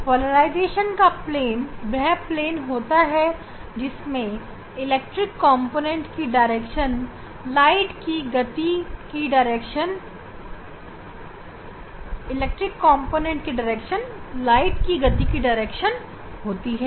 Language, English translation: Hindi, Plane of polarization means this the plane contain the electric component direction of the electric component and the direction of the light propagation